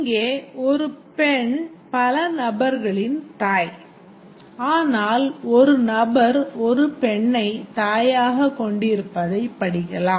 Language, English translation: Tamil, Here a woman is mother of many persons but we can also read it as a person has a woman as mother as mother